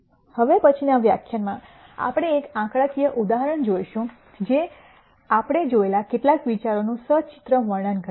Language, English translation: Gujarati, In the next lecture we will look at a numerical example that illustrates some of the ideas that we have seen